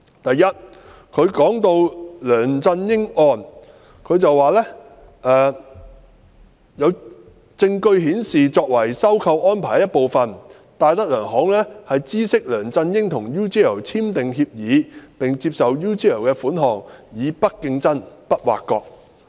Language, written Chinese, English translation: Cantonese, 第一，提到梁振英案時，律政司指"所有證據顯示，作為收購安排的一部分，戴德梁行知悉梁振英與 UGL 簽訂協議並接受 UGL 的款項以'不作競爭、不作挖角'。, First in respect of the case of LEUNG Chun - ying the Department of Justice DoJ stated that the totality of the evidence is that as part of the arrangement of the takeover DTZ had knowledge of Mr LEUNG entering into agreement with and accepting money from UGL for Mr LEUNGs non - compete non - poach arrangements and this is the finding of DoJ